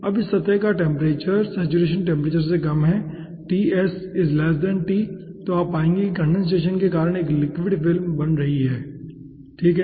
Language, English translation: Hindi, okay, now, ah, as this temperature, surface temperature ts, is less than t saturation, then you will be finding out that a liquid film is being formed